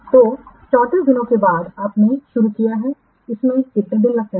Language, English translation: Hindi, So after 34 days you started, how many days it takes